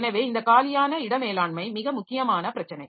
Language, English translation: Tamil, So, this free space management is a very important issue